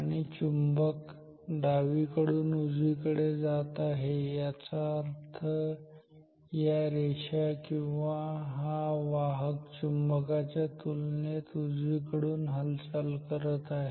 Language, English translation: Marathi, And the magnet is moving from left to right ok, the magnet is moving from left to right which means this lines or this conductor is moving from right to left relative to the magnet